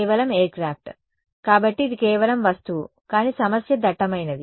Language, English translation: Telugu, Just the aircraft right; so, it is just the object, but the problem is dense